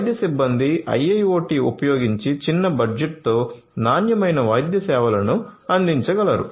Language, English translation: Telugu, Medical staff can provide quality medical services with small budget using IIoT